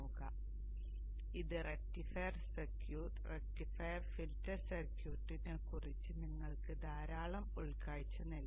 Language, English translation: Malayalam, So this would give you a lot of insight into the rectifier circuit, rectifier filter circuit in cell